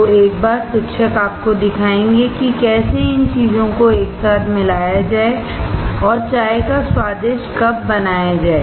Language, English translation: Hindi, So, one time teacher will show you, how to mix these things together and make a delicious cup of tea